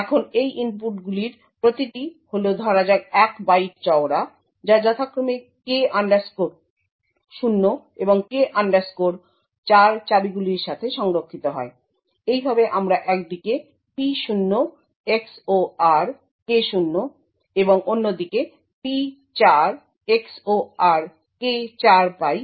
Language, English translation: Bengali, Now these inputs each are of let us say a byte wide gets xored with keys K 0 and K 4 respectively, thus we get P0 XOR K0 at one side and P4 XOR K4 on the other side